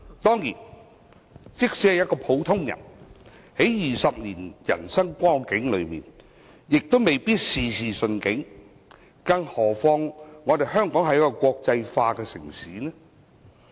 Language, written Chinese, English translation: Cantonese, 即使是一個普通人，在20年的人生中亦未必事事順境，更何況香港是一個國際化城市。, Even for an ordinary folk things may not be plain sailing throughout 20 years of his life let alone Hong Kong as an international city